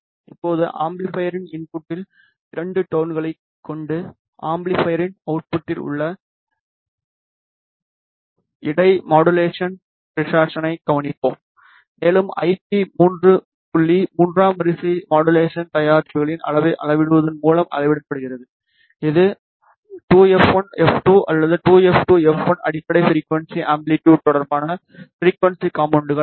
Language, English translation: Tamil, Now, with the two tones at the input of the amplifier we will observe the inter modulation distortion at the output of the amplifier and the IP 3 point is measured by measuring the level of the third order modulation products which is twice f 1 minus f 2 or twice f 2 minus f 1 frequency components relative to the fundamental frequency amplitude